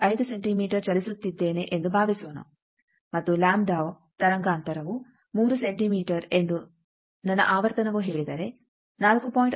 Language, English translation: Kannada, 5 centimetre and if my frequency is says that lambda wavelength is 3 centimetre then, I can say instead of 4